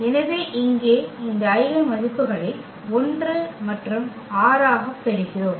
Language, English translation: Tamil, So, here we get these eigenvalues as 1 and 6